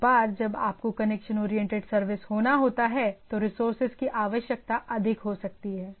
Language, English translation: Hindi, Once you have to do for a connection oriented the resource requirement may be high